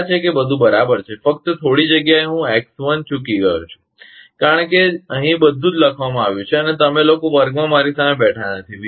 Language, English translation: Gujarati, Hope everything is correct, only couple of places I missed X1, because everything is writing here and you people are not sitting in front of me in the class